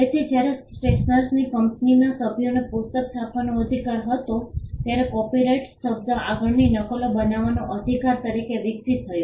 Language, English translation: Gujarati, So, when the members of the stationer’s company had the right to print the book, the word copyright evolved as a right to make further copies